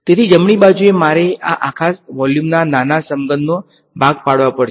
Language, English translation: Gujarati, So, on the right hand side, I have to chop up this entire volume into small cubes right